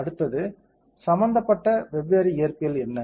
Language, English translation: Tamil, Next is what are the different physics that are involved